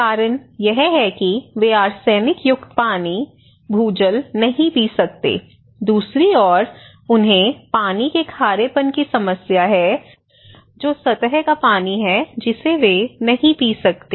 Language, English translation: Hindi, The reason is that they cannot drink arsenic water, groundwater because it is arsenic contaminated, on the other hand, they have a problem of water salinity that is surface water they cannot drink